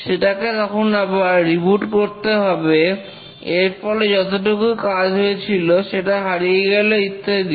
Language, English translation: Bengali, You need to reboot, work is lost and so on